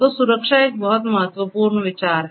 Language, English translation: Hindi, 0 safety is a very important consideration